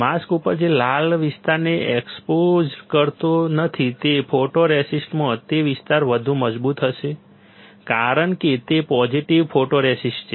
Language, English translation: Gujarati, The area which is not exposed this red one on the mask that area in the photoresist will be stronger, since it is a positive photoresist